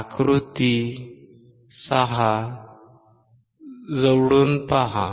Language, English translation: Marathi, Look closely at figure 6